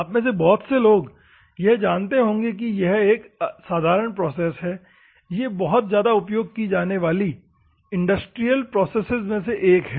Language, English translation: Hindi, Many of you know it is one of the common processes, or one of the most used in industries process is the grinding process